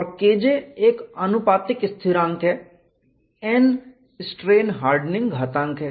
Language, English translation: Hindi, And Ki is proportionality constant; n is strain hardening exponent